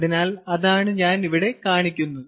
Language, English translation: Malayalam, ok, so that is what i am showing here